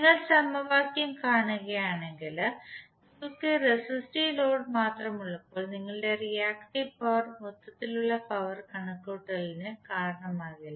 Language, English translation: Malayalam, So if you see the equation your reactive power would not be contributing in the overall power calculation when you have only the resistive load